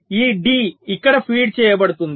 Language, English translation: Telugu, this d is being fed here